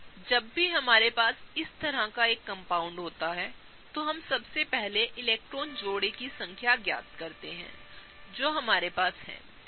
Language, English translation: Hindi, Whenever we have a compound like this, let us first figure out the number of electron pairs that we have